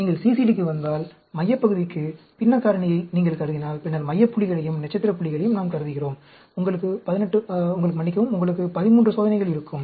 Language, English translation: Tamil, If you come to CCD, if you assume a fractional factorial, for the central portion, and then, we consider the center points as well as the star points, you will have 13 experiments